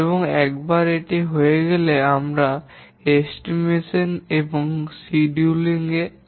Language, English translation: Bengali, And once that has been done, we come to estimation and scheduling